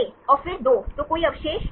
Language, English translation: Hindi, A then 2, any residues